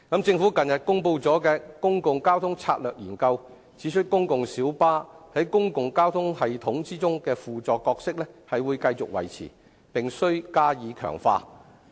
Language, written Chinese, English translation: Cantonese, 政府近日公布的《公共交通策略研究》指出，公共小巴在公共交通系統中的輔助角色會繼續維持，並加以強化。, According to the Public Transport Strategy Study recently released by the Government the supplementary role of PLBs in the public transport system will be maintained and enhanced